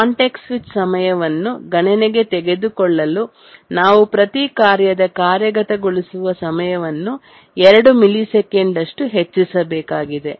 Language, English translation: Kannada, To take the context switching time into account, we need to increase the execution time of every task by 2 milliseconds